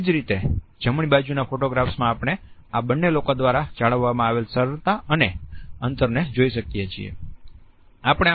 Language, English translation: Gujarati, Similarly on the right hand side corner photograph, we can look at the ease and the distance which has been maintained by these two people